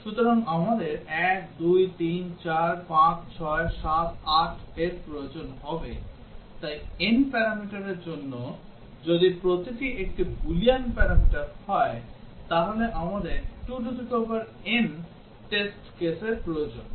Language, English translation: Bengali, So, we would require 1, 2, 3, 4, 5, 6, 7, 8, so for n parameters, if each one is a Boolean parameter, we need 2 to the power n test cases